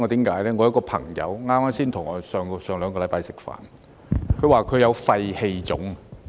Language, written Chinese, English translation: Cantonese, 有一個朋友上星期才與我吃飯，他說他有肺氣腫。, A friend of mine with whom I had a meal last week said that he had emphysema